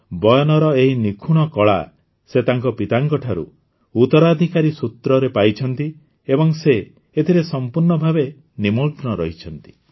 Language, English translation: Odia, He has inherited this wonderful talent of weaving from his father and today he is engaged in it with full passion